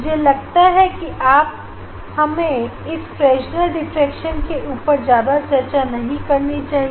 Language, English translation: Hindi, , I think I will not discuss more on this Fresnel s diffraction in laboratory